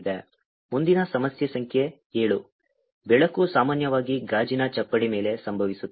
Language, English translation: Kannada, next problem, number seven, is light is incident normally on glass slab